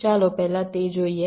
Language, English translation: Gujarati, let us see that first